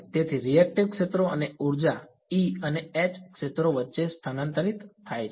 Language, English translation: Gujarati, So, reactive fields and energy is transferred between the E and H fields